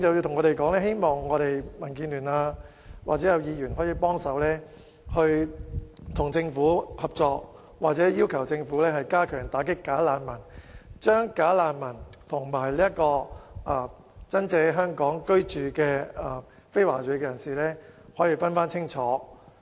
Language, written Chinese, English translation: Cantonese, 他們希望民建聯或議員與政府合作，並要求政府加強打擊"假難民"，以及將"假難民"與在港居住的非華裔人士區分清楚。, They hope that DAB or Members can cooperate with the Government and request the Government to step up its efforts of combating bogus refugees and to distinguish bogus refugees from the non - ethnic Chinese people living in Hong Kong